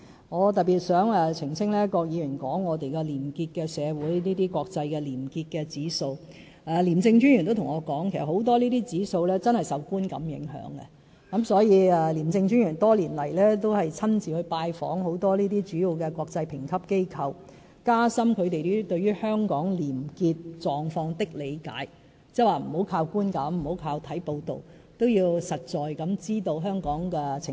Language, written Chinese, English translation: Cantonese, 我想特別澄清郭議員提到的廉潔社會及國際廉潔指數，廉政專員亦曾告訴我，這些指數很多確實也是受觀感影響的，所以廉政專員多年間也親自拜訪很多主要國際評級機構，加深它們對香港廉潔狀況的理解，不要只依靠觀感和看報道，也要實際知道香港的情況。, I would like to make a special point of clarification concerning Mr KWOKs remark about a clean society and international corruption - free indexes . I have been told by the Commissioner of ICAC that the ratings of such indexes are often influenced by perception . Therefore the Commissioner of ICAC have visited a number of major international rating agencies in person over the years with a view to facilitating their understanding of Hong Kongs probity situation so that they would not base their ratings solely on perception and news reports but also on the actual probity situation in Hong Kong